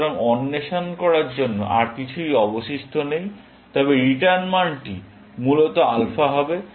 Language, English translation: Bengali, So, there is nothing left to explore, but the return value would be alpha, essentially